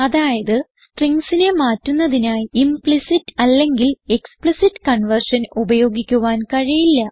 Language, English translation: Malayalam, And this is how we do implicit and explicit conversion and How do we converts strings to numbers